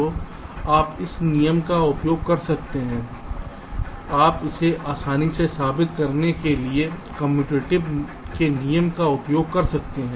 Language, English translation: Hindi, you can use rule commutative to prove this easily